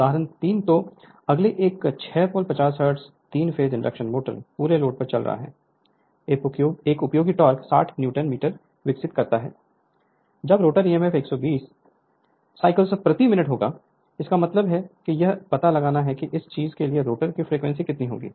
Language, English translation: Hindi, So, example 3 so a next one is a 6 pole, 50 hertz, 3 phase induction motor running on full load develops a useful torque of 160 Newton metre; when the rotor e m f makes 120 complete cycles per minute right; that means, it is you have to find out you have to find out the rotor frequency from this one